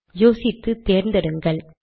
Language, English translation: Tamil, You can pick and choose